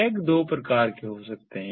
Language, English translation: Hindi, the tags can be of two types